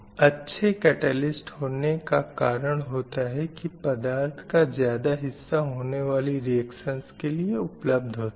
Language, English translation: Hindi, So this results in a better catalyst since the greater proportion of material is exposed to for potential reaction